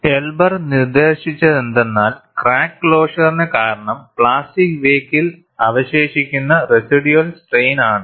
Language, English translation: Malayalam, And what Elber postulated was, that crack closure is due to the existence of residual strain in the plastic wake